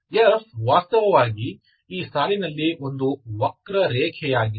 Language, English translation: Kannada, F is actually a curve, curve in this line, okay